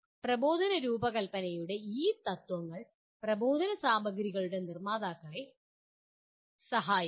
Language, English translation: Malayalam, And these principles of instructional design would also help producers of instructional materials